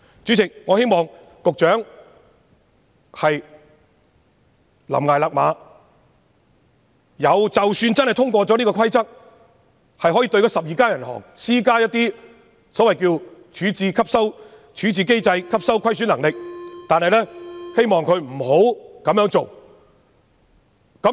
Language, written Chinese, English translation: Cantonese, 主席，我希望局長懸崖勒馬，即使有關規則獲通過，可以對12間銀行施加一些所謂處置機制、吸收虧損能力的規定，也希望政府不要這樣做。, President I hope the Secretary will pull back from the brink . Even if the Rules are passed so that some so - called loss - absorbing capacity requirements under the resolution regime can be imposed on the 12 banks I still hope that the Government will not do so